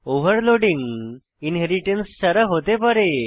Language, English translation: Bengali, Overloading can occurs without inheritance